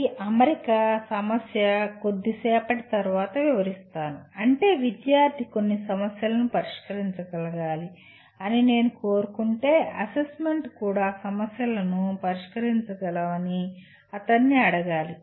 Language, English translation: Telugu, This alignment issue will be elaborating a little later that means if I want the student to be able to solve certain problems assessment should also ask him to solve problems